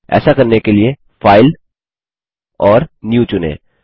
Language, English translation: Hindi, To do this Lets select on File and New